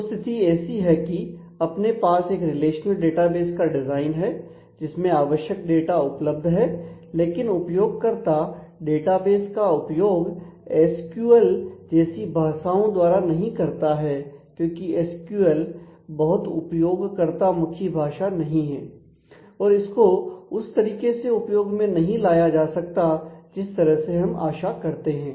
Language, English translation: Hindi, So, the situation is the where we do have a relational database design it is populated with the required data, but how about the interaction with the user incidentally most of the you database users do not interact with the database or query the database using language like SQL because as you have seen it is not a very friendly language and it is not presentable in a way which I would we would always expect or we would like